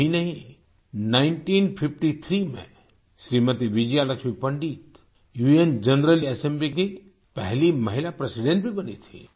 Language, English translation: Hindi, Vijaya Lakshmi Pandit became the first woman President of the UN General Assembly